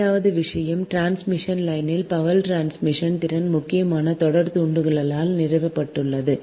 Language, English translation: Tamil, therefore this your power transmission capacity of the transmission line is mainly governed by the series inductance right